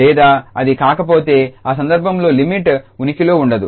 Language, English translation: Telugu, Or if it is not the case then limit does not exists in that case